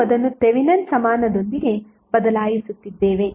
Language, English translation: Kannada, We are just simply replacing it with the Thevenin equivalent